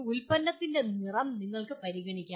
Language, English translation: Malayalam, You may consider color of the product does not make much difference